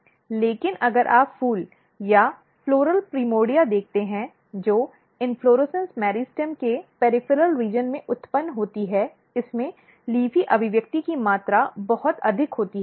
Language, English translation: Hindi, But if you look the flowers or floral primordia which is basically originated at the peripheral region of the inflorescence meristem, it has a very high amount of LEAFY expression